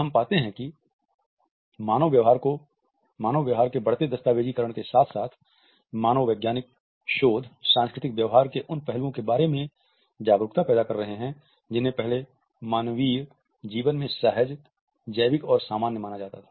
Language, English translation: Hindi, We find that increasing documentation of human behavior as well as anthropological researches are creating awareness about those aspects of cultural behaviors which were previously considered to be instinctive, biological and common in humanity